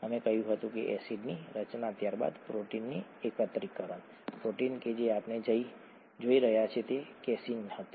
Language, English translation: Gujarati, We said acid formation, followed by protein aggregation, protein that we are looking at was casein